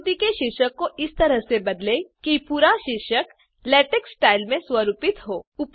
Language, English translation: Hindi, Change the title of the figure such that the whole title is formatted in LaTeX style